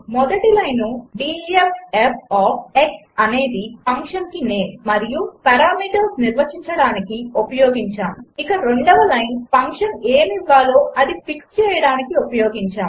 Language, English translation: Telugu, We wrote two lines: The first line def f of x is used to define the name and the parameters to the function, and the second line is used to fix what the function is supposed to return